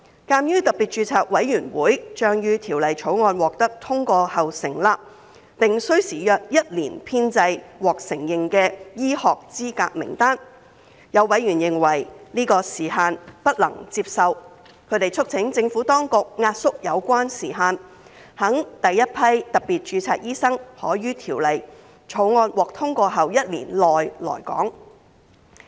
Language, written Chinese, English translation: Cantonese, 鑒於特別註冊委員會將於《條例草案》獲得通過後成立，並需時約一年編製獲承認的醫學資格名單，有委員認為這樣的時限不能接受，他們促請政府當局壓縮有關時限，使第一批特別註冊醫生可於《條例草案》獲通過後一年內來港。, Noting that SRC to be set up after the passage of the Bill will take around one year to compile the list of recognized medical qualifications some members considered such time frame unacceptable and urged the Government to compress the time required so that the first batch of special registration doctors could arrive in Hong Kong within one year after the passage of the Bill